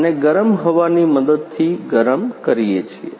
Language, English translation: Gujarati, And hot with the help of hot air